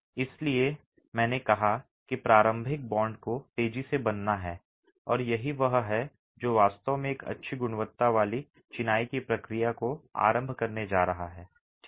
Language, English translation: Hindi, So that's why I said that initial bond has to form rapidly and that's what is actually going to initiate the process of a good quality masonry taking shape there